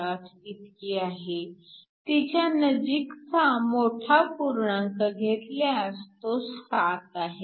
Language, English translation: Marathi, 48 and you round off to the highest integer, so this gives you 7